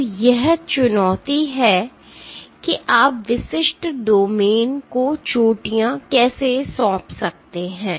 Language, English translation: Hindi, So, that is the challenge how can you assign the peaks to specific domains